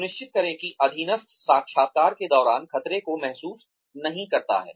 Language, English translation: Hindi, Ensure, that the subordinate, does not feel threatened, during the interview